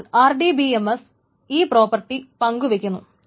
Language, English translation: Malayalam, So this is the RDBMS, that is the term